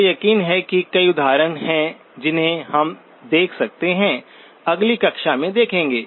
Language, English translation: Hindi, I am sure there are several examples we can look at, may be in the next class